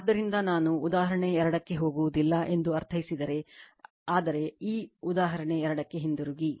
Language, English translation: Kannada, So, if you I mean I am not going to the example 2, but we will just go to that go back to that example 2